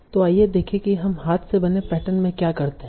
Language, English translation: Hindi, So, let us see what we do in the hand built patterns